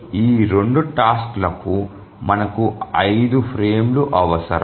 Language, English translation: Telugu, So we need five frames for these two tasks